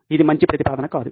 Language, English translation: Telugu, Not a good proposition